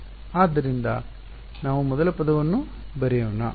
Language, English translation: Kannada, So, let us write out the first term